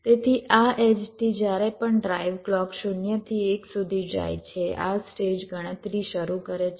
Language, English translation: Gujarati, so from this edge, whenever drive clock goes from zero to one, this stage the starts calculating